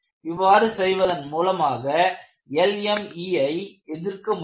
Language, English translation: Tamil, So, by doing this, they can help to enhance resistance to LME